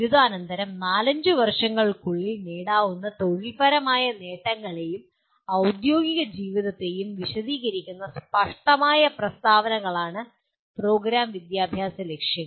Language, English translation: Malayalam, PEOs are broad statements that describe the career and professional accomplishments in four to five years after graduation